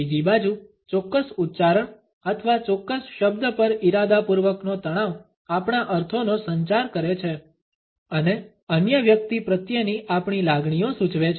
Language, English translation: Gujarati, On the other hand the deliberate stress on a particular syllable or on a particular word communicates our meanings and indicates our feelings towards other person